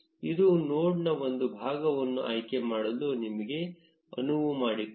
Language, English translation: Kannada, This will enable you to select a part of the node